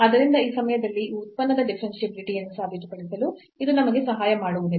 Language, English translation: Kannada, So, it does not help us to prove the differentiability of this function at this point of time